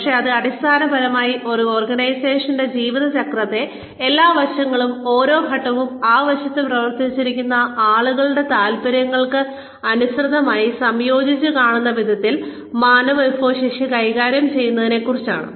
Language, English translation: Malayalam, But, it is essentially about managing human resources in such a way that, every aspect, of every stage, in an organization's life cycle is, seen in conjunction, in line with the interests of the people, who are working on that aspect